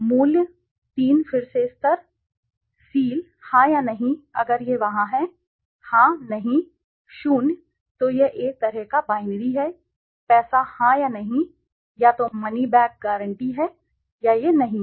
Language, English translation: Hindi, Price, three again levels, seal, yes or no if it is there, yes, no, zero, so it is a kind of binary, money yes or no, either money back guarantee is there or it is not there